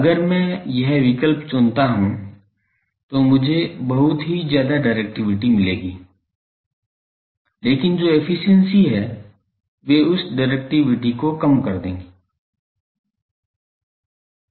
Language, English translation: Hindi, This choice if I make I will get very high directivity, but the efficiencies they will kill that directivity